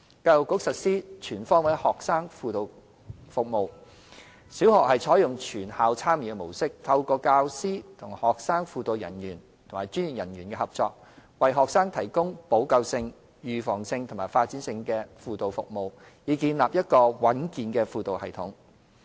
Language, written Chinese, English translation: Cantonese, 教育局實施"全方位學生輔導服務"，小學採用"全校參與"模式，透過教師與學生輔導人員及專業人員合作，為學生提供補救性、預防性及發展性的輔導服務，以建立一個穩健的輔導系統。, The Education Bureau implements the Comprehensive Student Guidance Service where primary schools adopt the Whole School Approach . Teachers work in collaboration with student guidance personnel and professional staff to provide remedial preventive and developmental guidance services for the establishment of a robust student guidance system